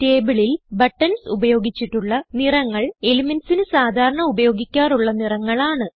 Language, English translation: Malayalam, Colors used for buttons in the table are conventional colors of the elements